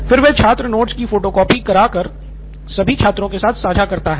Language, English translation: Hindi, And then he would have to take Photostat, photocopy of the notes and share it with all the students